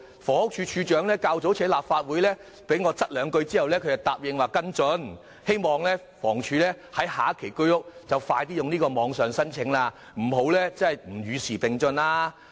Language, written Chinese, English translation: Cantonese, 房屋署署長較早前在立法會被我再三追問後答應跟進，我也希望房屋署與時並進，在下一期推出居屋時容許網上遞交申請。, Earlier on the Director of Housing undertook to take follow - up action after my repeated questioning . I do hope that HD can move with the times by accepting online applications in launching HOS flats in the next phase